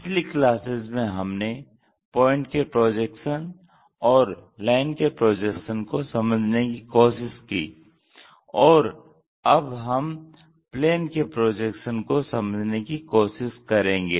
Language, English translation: Hindi, Earlier classes we try to look at projection of points, prediction of lines and now we are going to look at projection of planes